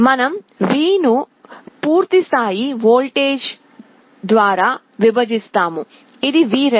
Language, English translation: Telugu, We divide this Δ by full scale voltage which is Vref